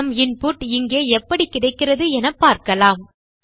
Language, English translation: Tamil, You can see here we got our input here